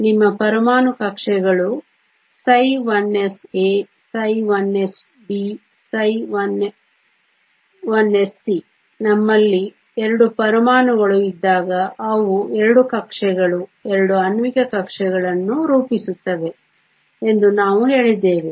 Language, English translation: Kannada, Your atomic orbitals are psi 1 s a, psi 1 s b, psi 1 s c when we have 2 atoms we said they form 2 orbitals, 2 molecular orbitals